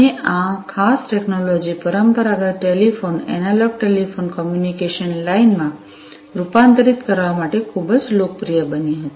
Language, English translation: Gujarati, And, this particular technology became very popular in order to convert the conventional telephone, you know, analog telephone communication lines